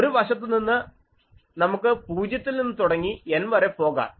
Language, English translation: Malayalam, So, let us number so from one side let us start 0 so, go to N